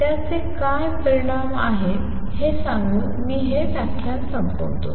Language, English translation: Marathi, Let me just end this lecture by telling what implications does it have